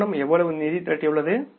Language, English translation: Tamil, How much funds have been raised by the company